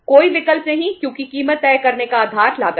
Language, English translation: Hindi, No option because the basis of deciding the price is the cost